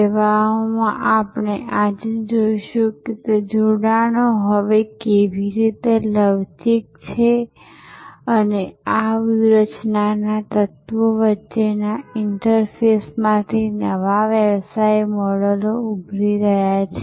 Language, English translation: Gujarati, In services we will see today, that how those couplings are now kind of flexible and new business models are emerging from the interfaces between these strategy elements